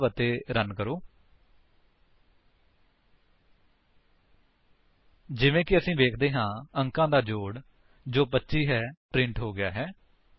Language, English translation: Punjabi, As we can see, the sum of digits which is 25 has been printed